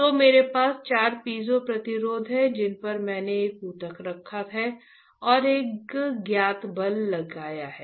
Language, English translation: Hindi, So, I have four piezoresistors, on which I have placed a tissue and applying a known force, right